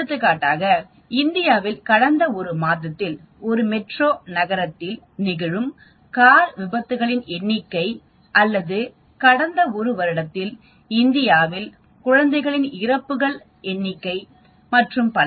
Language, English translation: Tamil, For example, number of car accidents that is happening in a metro city in India in past one month or number of infant deaths in India in the past one year and so on